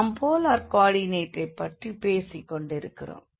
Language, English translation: Tamil, So, we are talking about the polar coordinate